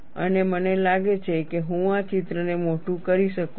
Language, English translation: Gujarati, And I think, I can enlarge this picture